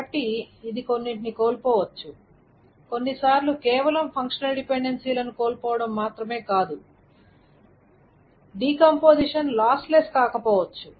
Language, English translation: Telugu, So it can lose certain, sometimes it can lose not just functional dependencies, the decomposition may not be lossless